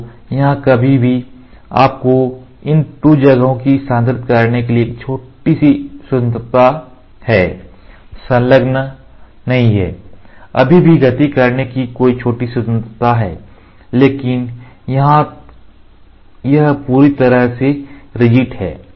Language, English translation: Hindi, So, here still you have a small freedom of moving these 2 are not attached you still have small freedom of moving, but here it is rigid completely ok